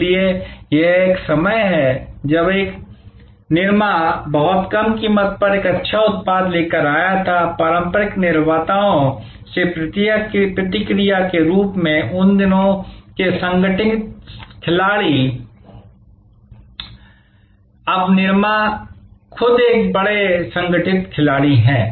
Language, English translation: Hindi, So, this is how at one time, when a Nirma came with a good product at a very low price, the response from the traditional manufacturers as are the organize players of those days, now Nirma itself is a big organize player